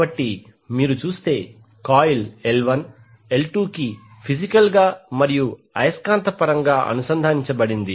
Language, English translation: Telugu, So if you see that coil L1 is connected to L2 physically as well as magnetically